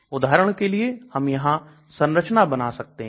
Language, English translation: Hindi, We can draw structures here for example